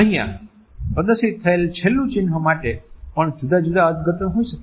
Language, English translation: Gujarati, The last sign which is displayed over here also may have different interpretations